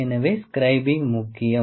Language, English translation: Tamil, So, scribing is important